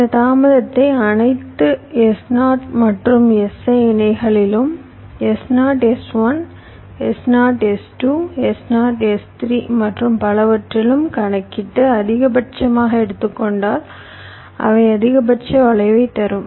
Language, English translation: Tamil, so if i calculate this delay across all, s zero and s i pairs, s zero, s one s zero, s two, s zero, s three and so on, and take the maximum of them, that will give me the maximum skew, right